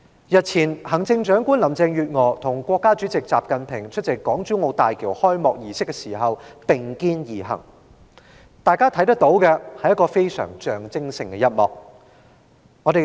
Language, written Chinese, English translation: Cantonese, 日前，行政長官林鄭月娥和國家主席習近平出席港珠澳大橋開幕儀式時並肩而行，大家都看到象徵性的一幕。, A few days ago Chief Executive Carrie LAM and President XI Jinping walked side by side when they attended the opening ceremony of the Hong Kong - Zhuhai - Macao Bridge . This symbolic scene was watched by all of us